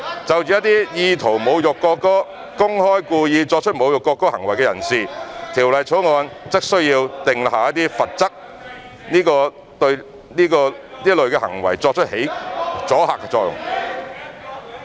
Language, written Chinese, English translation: Cantonese, 就着一些意圖侮辱國歌、公開及故意作出侮辱國歌行為的人士，《條例草案》則需要訂下罰則，對這類行為起阻嚇作用。, For those with an intent to insult the national anthem and publicly and intentionally perform acts to insult the national anthem there is a need to introduce punitive provisions in the Bill to deter such behaviours